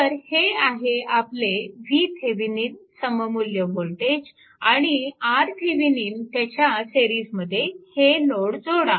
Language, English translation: Marathi, So, this is my v Thevenin that equivalent one this is my v Thevenin and R Thevenin with that you connect this load in series with that